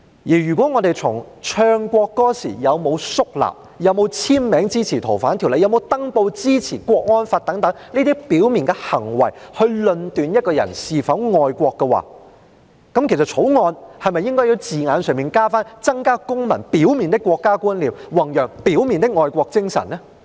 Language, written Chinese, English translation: Cantonese, 如果我們從唱國歌時有沒有肅立、有沒有簽名支持修訂《逃犯條例》、有沒有登報支持國安法等這些表面行為來論斷一個人是否愛國的話，《條例草案》是否需要加入字眼，訂明是要增加公民"表面"的國家觀念，弘揚"表面"的愛國精神呢？, If we make a judgment on whether or not a person is patriotic by looking at his overt behaviours such as whether he stands solemnly when singing the national anthem whether he has put down his signature in support of the amendment of the Fugitive Offenders Ordinance and whether he has put up an advertisement in newspaper to support the national security law is it necessary to include wording in the Bill to provide that the objective is to enhance citizen overt awareness of the country and promote overt patriotism?